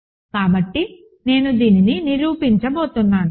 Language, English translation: Telugu, So, I am going to prove this